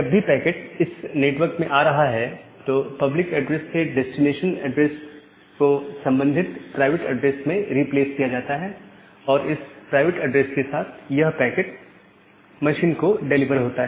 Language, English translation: Hindi, Now whenever this packet is coming to the inside network, the address the destination address is replaced from the public address to the corresponding private address and with that private address the packet is delivered to this machine